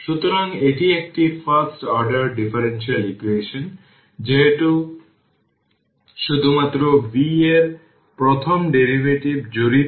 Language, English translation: Bengali, So, this is a first order differential equation, since only the first derivative of v is involved